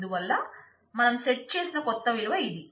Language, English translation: Telugu, So, this is the new value that we set